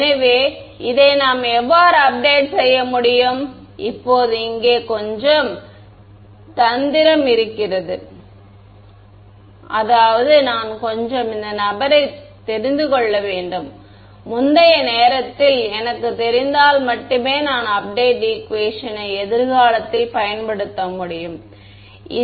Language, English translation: Tamil, So, how can we update this there is a little bit of trick here now right I mean little bit of catch I need to know this guy to begin with only if I know it at a previous time instance can I use this update equation in the future